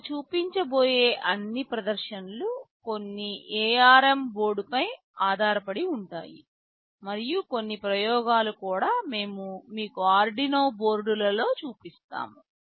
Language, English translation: Telugu, All the demonstrations that we shall be showing would be based on some ARM board, and also a few experiments we shall be showing you on Arduino boards